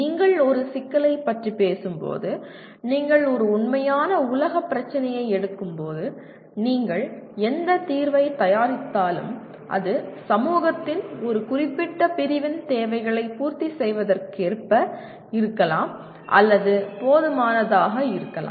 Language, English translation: Tamil, When you talk about a problem, when you take a real world problem, whatever solution you produce, it may be as per the, it may be adequate or it meets the requirements of a certain segment of the society